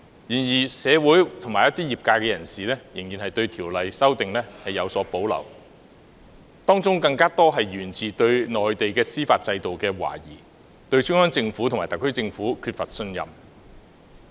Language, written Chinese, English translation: Cantonese, 然而，一些社會人士及業界人士仍然對《條例》的修訂有所保留，當中更多是源自對內地司法制度的懷疑，對中央政府及特區政府缺乏信任。, However some members of the community and the sector still had reservations about the amendments to FOO many of which originating from misgivings about the Mainland judicial system and the lack of confidence in the Central Government and the SAR Government